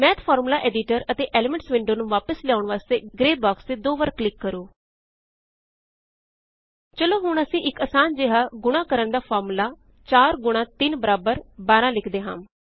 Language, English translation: Punjabi, Double click on the gray box to bring back the Math formula Editor and the Elements window.Okey let us now write a simple muiltiplication formula 4 multiplied by 3 is equal to 12